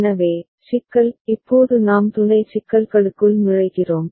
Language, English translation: Tamil, So, the problem now we are breaking into sub problems ok